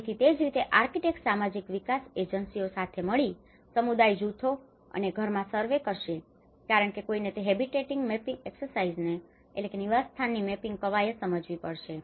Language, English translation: Gujarati, So, similarly the architects work with the social development agencies to carry out surveys with community groups and house because one has to understand that habitat mapping exercise